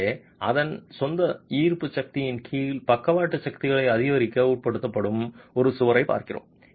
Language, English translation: Tamil, So we are looking at a wall which is subjected to increasing lateral forces under its own gravity force